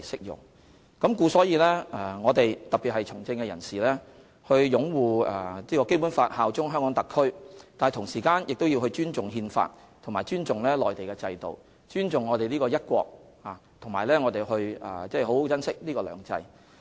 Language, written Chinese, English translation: Cantonese, 因此，特別是對從政人士而言，除擁護《基本法》及效忠香港特別行政區外，亦必須尊重《憲法》及內地制度，並尊重"一國"及珍惜"兩制"。, As a result politicians in particular should uphold the Basic Law and pledge allegiance to HKSAR . They must also respect the Constitution and the system in the Mainland respect one country and cherish two systems